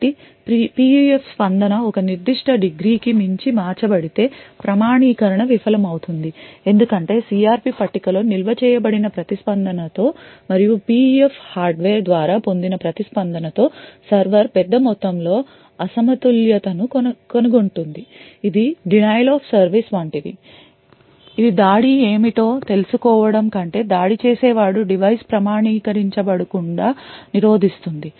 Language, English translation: Telugu, So if the PUF response is altered beyond a particular degree, the authentication would fail because the server would find a large amount of mismatch with the response which is stored in the CRP table and the response of obtained by the PUF hardware, this would be more like a denial of service attack, where the attacker rather than learning what the response would be is essentially preventing the device from getting authenticated